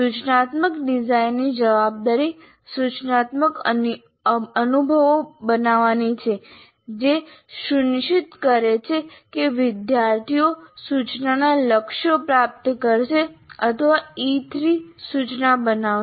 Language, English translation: Gujarati, And the responsibility of the instructional designer is to create instructional experiences which ensure that the learners will achieve the goals of instruction or what you may call as E3, create E3 instruction